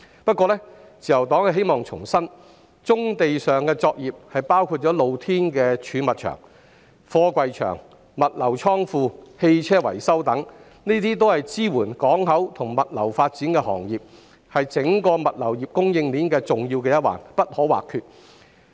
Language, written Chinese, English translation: Cantonese, 不過，自由黨希望重申，棕地作業包括露天貯物場、貨櫃場、物流倉庫、汽車維修等，均是支援港口及物流發展的行業，是整個物流供應鏈重要的一環，不可或缺。, However the Liberal Party would like to reiterate that brownfield operations including open storage yards container yards logistics facilities and vehicle repair workshops provide support to port and logistics development and form an essential and integral part of the entire logistics supply chain